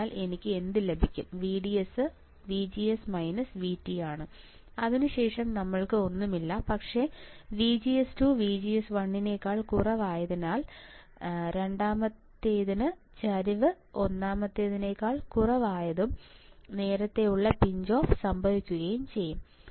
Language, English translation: Malayalam, So, what will I have VDS equals to VGS minus V T and that then we have nothing, but since VGS is less than VGS 1 that is why slope 2 is less than slope 1 and early pinch off will occur early pinch off will occur